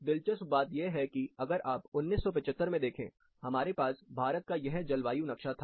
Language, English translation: Hindi, Interesting thing is that, if you look back in 1975, we had this particular climate map of India